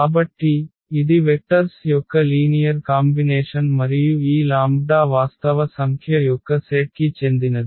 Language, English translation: Telugu, So, this the linear combination of the vectors and this lambda belongs to the set of real number